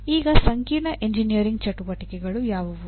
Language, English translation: Kannada, Now what are complex engineering activities